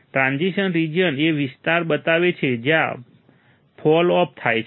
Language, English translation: Gujarati, Transition region shows the area where the fall off occurs